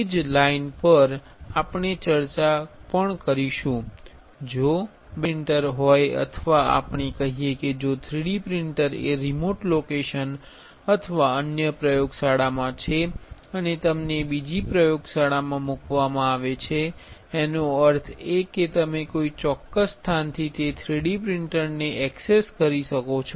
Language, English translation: Gujarati, On the same line, we will be also discussing on if there are two 3D printers right or let us say that if the 3D printer is in a remote location or other laboratory and you are placed in another laboratory; that means, can you access that particular 3D printer from a different place